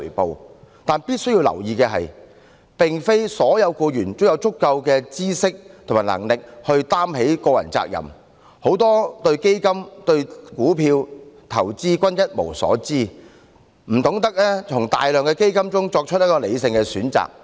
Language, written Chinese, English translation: Cantonese, 不過，必須注意的是，並非所有僱員均有足夠的知識及能力負起個人責任，很多人對基金、股票和投資一無所知，不懂從大量基金中作出理性選擇。, However it must be noted that not all employees have sufficient knowledge and ability to take up this personal responsibility . Many people know nothing about funds stocks and investments . They do not have a clue about making a rational choice among a large number of funds